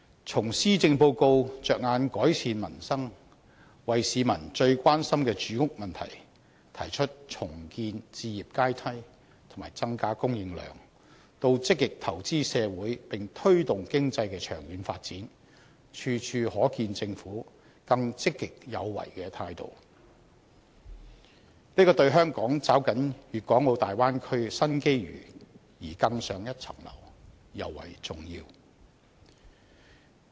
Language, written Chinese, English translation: Cantonese, 從施政報告着眼改善民生，為市民最關心的住屋問題提出重建置業階梯和增加房屋供應量，到積極投資社會，並推動經濟的長遠發展，處處可見政府更積極有為的態度，這對香港抓緊粵港澳大灣區的新機遇而更上一層樓尤為重要。, The Policy Address reflects a more proactive approach of the Government . It focuses on improving the livelihood of the people and addressing the housing problem the prime concern of the public by proposing to rebuild a housing ladder and increasing housing supply; it also proposes to actively invest in society and promote long - term economic development . This approach is particularly important in helping Hong Kong seize the new opportunities brought by the Guangdong - Hong Kong - Macao Bay Area development to foster its development